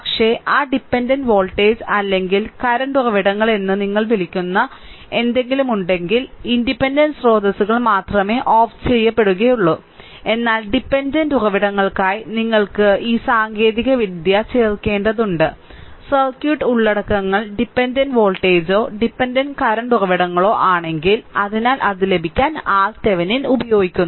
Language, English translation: Malayalam, So, only independent sources will be turned off, but dependent sources for dependent sources you have to add out this technique; if circuit contents dependent sources that is dependent voltage or dependent current sources right; so, to get this R Thevenin